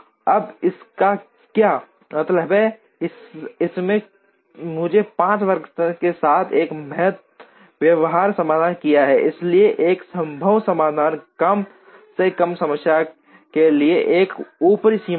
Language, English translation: Hindi, Now, what does this mean, this has given me a feasible solution with 5 workstations, so a feasible solution is an upper bound to a minimization problem